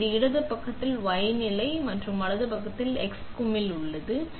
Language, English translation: Tamil, So, this is the y position on the left side and the right side is the x knob